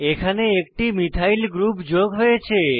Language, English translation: Bengali, You will notice that a Methyl group has been added